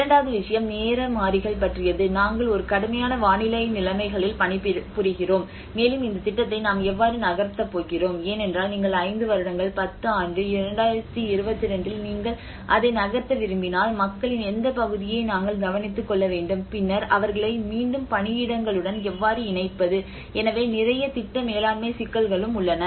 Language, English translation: Tamil, And the second thing is about the time variables, when we say about the time various you know what kind of because we are working in a harsh weather conditions and how we are going to move this project let us say if you are taking about 5 year, 10 year, 2022 if you want to move it up then what segment of the people we have to take care and then how to connect them again back to the workplaces so there is a lot of project management issues as well